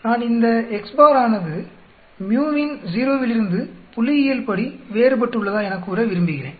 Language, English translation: Tamil, I would like to tell whether this x bar is statistically different from the mu of 0